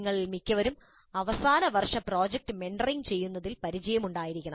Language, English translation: Malayalam, Most of you must be having experience in mentoring the final year project